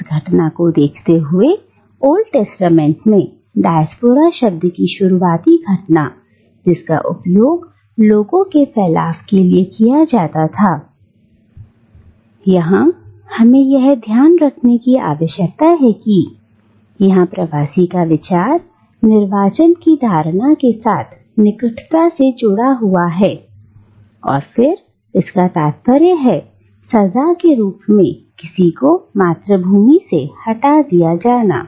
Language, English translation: Hindi, Now, while looking at this occurrence, early occurrence of this word diaspora in the Old Testament which is used to mean a dispersion of people, we need to keep in mind that here the idea of diaspora is closely associated with the notion of exile or of being removed from one's homeland as a form of punishment